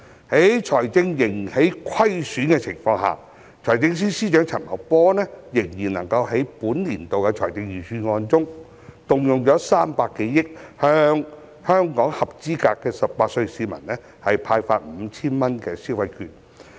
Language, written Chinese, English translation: Cantonese, 在財政仍然虧損的情況下，財政司司長陳茂波仍然能夠在本年度的財政預算案中，動用300多億元向全港18歲或以上合資格的市民派發 5,000 元消費券。, Despite the fiscal deficit Financial Secretary FS Paul CHAN has still managed to set aside more than 30 billion in this years Budget to hand out electronic consumption vouchers worth 5,000 to all eligible citizens aged 18 or above